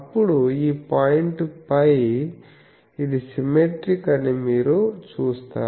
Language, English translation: Telugu, Then this point is pi, you see it is symmetric